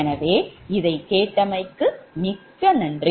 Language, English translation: Tamil, so thank you very much for listening this